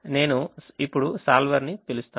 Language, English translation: Telugu, i now call the solver